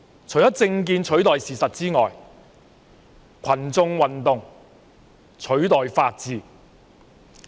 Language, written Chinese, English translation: Cantonese, 除了政見取代事實外，群眾運動亦取代了法治。, Apart from political views replacing facts mass movements have also taken the place of the rule of law